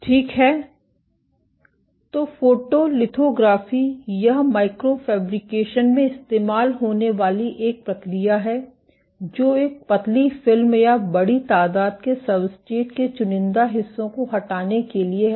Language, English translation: Hindi, So, photolithography, this is a process used in micro fabrication which are to selectively remove parts of a thin film or the bulk of a substrate